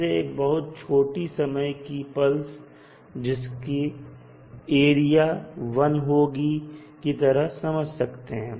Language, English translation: Hindi, It maybe visualized as a very short duration pulse of unit area